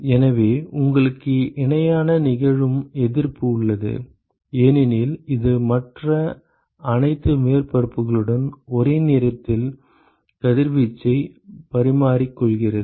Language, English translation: Tamil, Therefore, you have resistance for which are occurring in parallel, because it is simultaneously exchanging radiation with all other surfaces